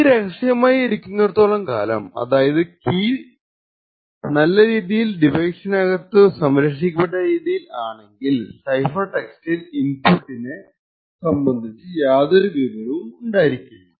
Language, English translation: Malayalam, So, what we see is that as long as the key is kept secret and well concealed within the device the cipher text does not contain any information about the corresponding input